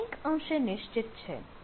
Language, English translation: Gujarati, so that is somewhat fix